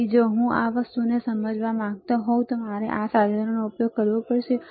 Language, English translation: Gujarati, So, if you want to understand this thing, you have to use this equipment